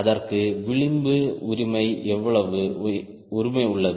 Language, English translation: Tamil, that has a margin, right